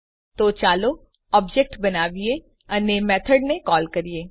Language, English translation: Gujarati, So let us create an object and call the method